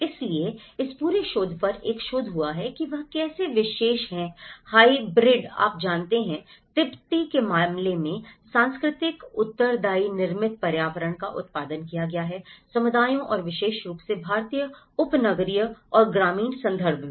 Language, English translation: Hindi, So, there is a research on this whole research has looked into how this particular hybrid you know, cultural responsive built environment has been produced in case of Tibetan communities and especially, in the Indian suburban and the rural context